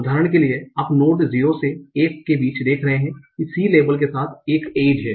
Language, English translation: Hindi, So, for example, you are seeing between node 0 to 1, there is an edge with a label of C